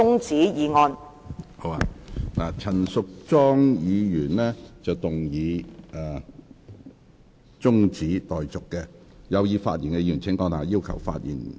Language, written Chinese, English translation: Cantonese, 陳淑莊議員動議中止待續議案，有意發言的議員請按下"要求發言"按鈕。, Ms Tanya CHAN has moved an adjournment motion . Members who wish to speak will please press the Request to Speak button